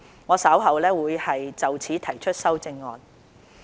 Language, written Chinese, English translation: Cantonese, 我稍後會就此提出修正案。, I will propose an amendment to this effect later